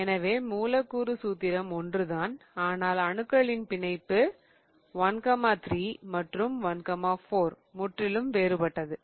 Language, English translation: Tamil, So, the molecular formula is the same but the connectivity 1 3 versus 1 4, the connectivity of the atoms is different altogether